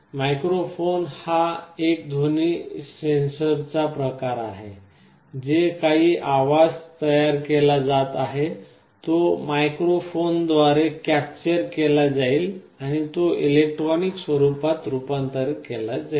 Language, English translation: Marathi, Microphone is a kind of a sound sensor, some sound is being generated that is captured by the microphone and it is converted to electronic format